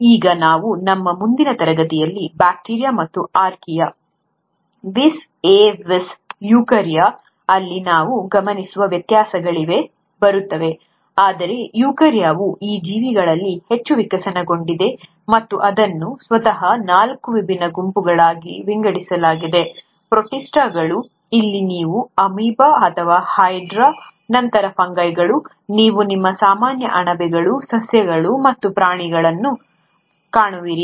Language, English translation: Kannada, Now we’ll come to the differences which we observe in bacteria and archaea vis à vis eukarya in our next class, but eukarya is the most evolved of these living entities, and it itself is divided into four different groups; the protists, this is where you’ll come across an amoeba, or the hydra, then the fungi, where you come across your regular mushrooms, the plants and the animals